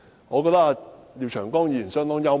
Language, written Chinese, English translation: Cantonese, 我覺得廖長江議員相當幽默。, Mr Martin LIAOs argument is kind of funny